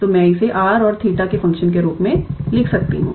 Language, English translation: Hindi, So, I can write this as a function of r and theta